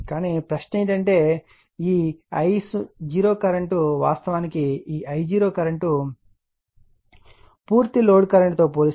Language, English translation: Telugu, But question is that this I 0 current actually this I 0 current is very small compared to the full load current, right